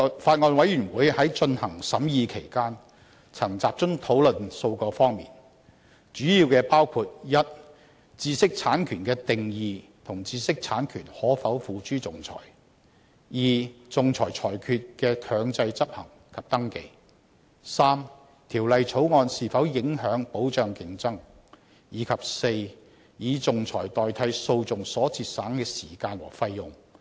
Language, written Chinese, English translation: Cantonese, 法案委員會在進行審議期間，曾集中討論數個方面，主要包括：一、知識產權的定義和知識產權可否付諸仲裁；二、仲裁裁決的強制執行及登記；三、《條例草案》是否影響保障競爭；及四、以仲裁代替訴訟所節省的時間和費用。, In the course of the scrutiny the Bills Committee has focused on several areas in its discussion which mainly include Firstly definition and arbitrability of IPRs; secondly enforcement and registration of arbitral awards; thirdly the implications if any of the Bill on assuring competition; and fourthly the time and cost saved in using arbitration instead of litigation